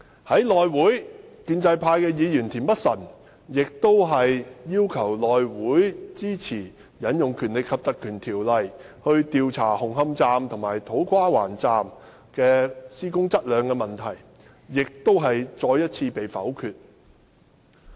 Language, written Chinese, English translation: Cantonese, 在內會，建制派議員田北辰議員要求內會支持引用《條例》來調查紅磡站和土瓜灣站的施工質量問題，亦再次被否決。, In HC a request by a pro - establishment Member Mr Michael TIEN to invoke the power of the Ordinance for HC to investigate into the construction quality of Hung Hom Station and To Kwa Wan Station was again rejected